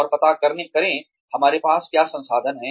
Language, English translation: Hindi, And, find out, what resources, we have